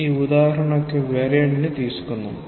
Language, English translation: Telugu, Let us take a variant of this example